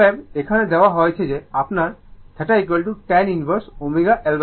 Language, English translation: Bengali, Therefore, here it is given that your theta is equal to tan inverse omega L by R